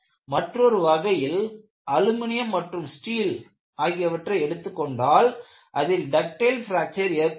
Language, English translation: Tamil, On the other hand, if you take aluminum or steel, you will have a ductile fracture